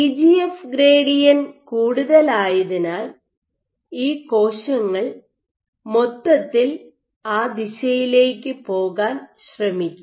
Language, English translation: Malayalam, Since EGF gradient is high these cells will overall try to go in that direction